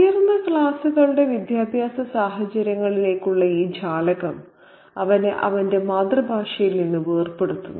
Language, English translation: Malayalam, And this window into the educational scenario of the upper classes kind of makes him break away with his native language